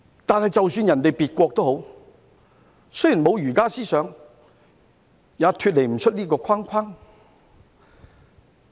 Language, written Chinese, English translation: Cantonese, 但是，即使別國沒有儒家思想，也脫離不了這個框框。, However even in countries where people have no idea of Confucianism their feelings about their countries are not very different from ours